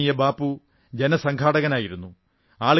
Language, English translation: Malayalam, Revered Babu was a people's person